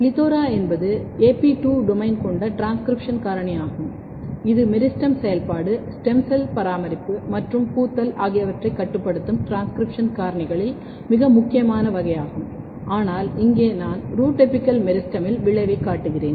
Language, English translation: Tamil, PLETHORA are AP2 domain containing transcription factor, very very important class of transcription factor which regulates meristem function, stem cell maintenance as well as flowering, but here I am showing the effect in the root apical meristem